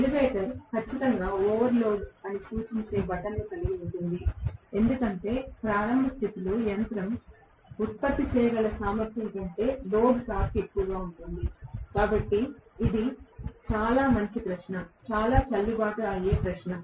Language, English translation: Telugu, The elevator definitely will have an indicative button that it is overload, because the load torque is greater than whatever the machine is capable of generating at the starting condition, so it is a very good question, very valid question